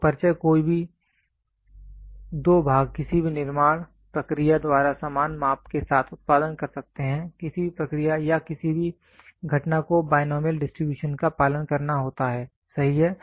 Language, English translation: Hindi, So, introduction no, two parts can produce with identical measurements by any manufacturing process, any process or any event to happen follow the binomial distribution, right